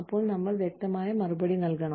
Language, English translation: Malayalam, Then, we have a clear cut response